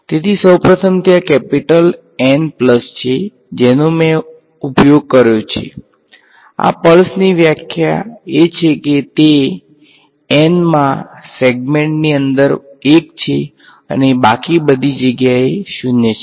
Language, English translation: Gujarati, So, first of all there are capital N pulses that I have used the definition of this pulse is that it is 1 inside the nth segment and 0 everywhere else right